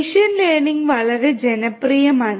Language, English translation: Malayalam, Machine learning is very popular